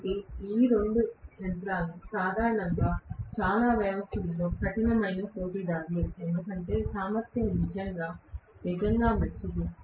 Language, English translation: Telugu, So, both these machines are generally tough competitors in many cases because the efficiency is really, really better